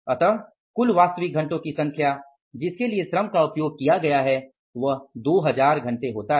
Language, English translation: Hindi, So, total number of actual hours for which the labor has been used is 2000